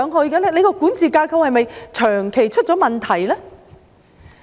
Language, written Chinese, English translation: Cantonese, 港鐵公司的管治架構是否長期出現問題呢？, Is there a chronic problem with MTRCLs governance structure?